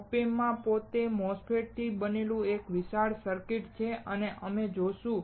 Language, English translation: Gujarati, OP Amps itself has a huge circuit made up of MOSFETS and we will see that